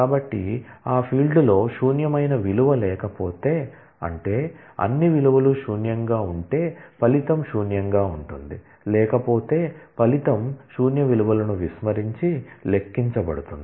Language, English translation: Telugu, So, if on that field there is no value which is not null, that is if all values are null then the result is null otherwise the result is computed by ignoring the null values